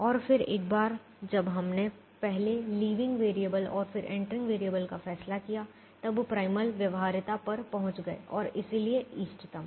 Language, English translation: Hindi, and then, once we decided the leaving variable first and then the entering variable, we reached primal feasibility and hence optimum